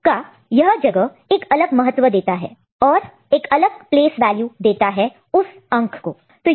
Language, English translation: Hindi, So, this place provides a different weightage ok, a different place value to that particular number ok